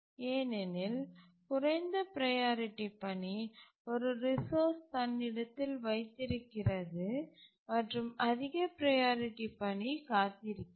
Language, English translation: Tamil, The low priority task is holding a resource, okay, fine, and the high priority task is waiting